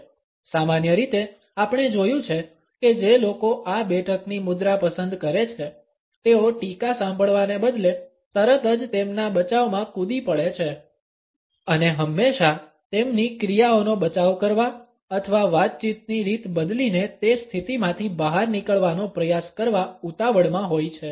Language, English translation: Gujarati, Normally, we find that people who opt for this sitting posture jump to their defense immediately instead of listening to the criticism and are always in a hurry either to defend their actions or to try to wriggle out of that position by changing the conversation patterns